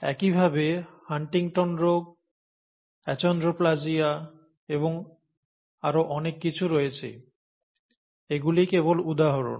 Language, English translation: Bengali, So are Huntington’s disease and Achondroplasia and so on and so forth; these are just examples